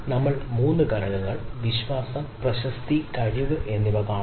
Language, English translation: Malayalam, we are looking at three component trust, reputation, competence